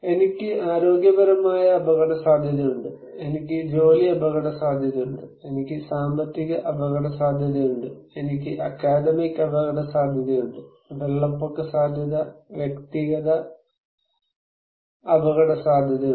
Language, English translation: Malayalam, I have health risk, I have job risk, I have financial risk, I have academic risk, flood risk, personal risk